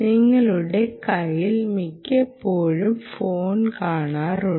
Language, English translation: Malayalam, you keep the phone most of the time